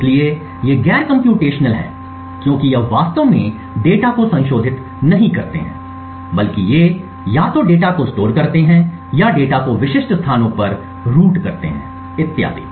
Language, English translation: Hindi, So, these are non computational because it does these do not actually modify the data but rather they just either store the data or just route the data to specific locations or just provide a look up so on